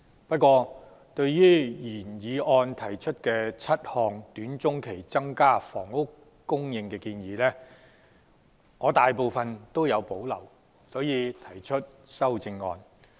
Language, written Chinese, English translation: Cantonese, 不過，對於原議案提出7項短、中期增加房屋供應的建議，我大部分也有保留，因此提出修正案。, However given my reservation to most of the seven suggestions about increasing housing supply in the short - to - medium term set out in the original motion I have thus proposed an amendment